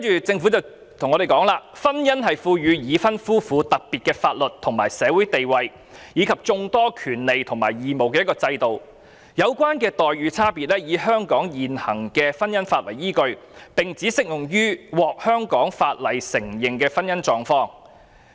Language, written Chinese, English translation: Cantonese, 政府表示，婚姻是賦予已婚夫婦特別的法律及社會地位，以及眾多權利和義務的制度，有關差別待遇以香港現行婚姻法為依據，並只適用於獲香港法律承認的婚姻狀況。, According to the Government marriage is an institution which carries with it a special legal and social status and a host of rights and obligations for the married couple . It also takes the view that the differential treatment in question follows the prevailing marriage laws of Hong Kong and gives effect only to marital status that is recognized as such under the laws of Hong Kong